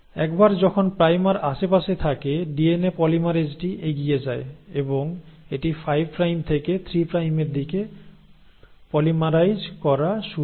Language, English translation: Bengali, Once the primer is there in vicinity the DNA polymerase hops along and moves, and it started to polymerise in the direction of 5 prime to 3 prime